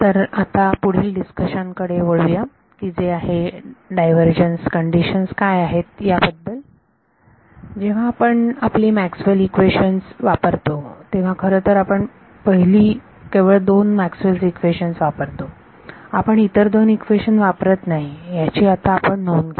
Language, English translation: Marathi, So, let us move to the next discussion which is what Divergence Conditions, now notice that when we use our Maxwell’s equations we actually use only the first two Maxwell’s equation, we do not touch the other two equations